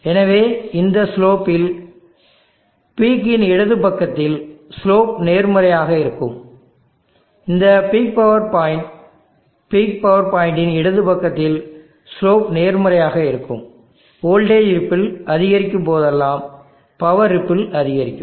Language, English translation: Tamil, So on this slope, where the slope is positive on the left side of the peak this is the peak power point on the left side of the peak power point where the slope is positive whenever there is an increase in the voltage ripple there will be an increase in power ripple too